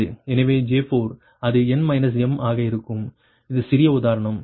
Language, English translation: Tamil, so for the j four, right, it will be n minus m